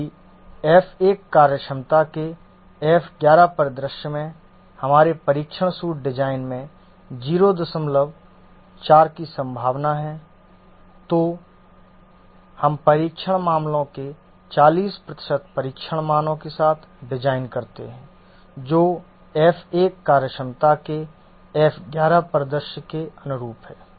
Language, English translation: Hindi, 4 is the probability of the first scenario of F1 functionality, then in our test suit we should have 40% of the test cases where F1 is invoked on the F11 scenario